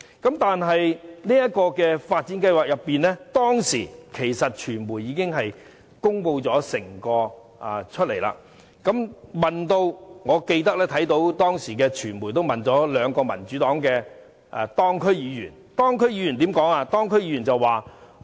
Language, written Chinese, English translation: Cantonese, 關於這個發展計劃，當時傳媒已經作全面公開，我更記得當時傳媒曾向兩名民主黨的當區議員提問，他們怎樣回應？, Regarding this development plan the media had disclosed all the information at that time . I still recall that the media asked two Yuen Long District Council members of the Democratic Party about their views on the plan . How did they respond?